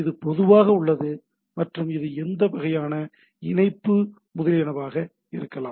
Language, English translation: Tamil, So, this is typically and it can be any type of number of connectivity, etcetera